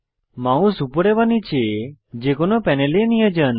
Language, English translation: Bengali, Move your mouse over any one panel top or bottom